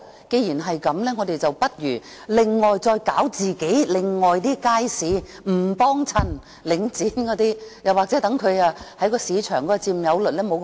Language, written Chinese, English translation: Cantonese, 既然如此，我們不如另外發展其他街市，不光顧領展或令它的市場佔有率縮小。, As such let us develop other markets and stop patronizing Link REIT or make its market share shrink